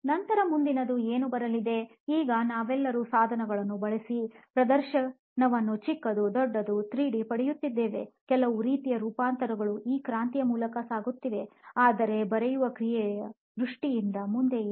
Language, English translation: Kannada, Then what is next coming up next, is it so now we have all seen revolution in terms of display devices is getting smaller, is getting bigger, it is going through lots of, it is getting 3D, it is going through all sorts of transformation, but in terms of the act of writing what is next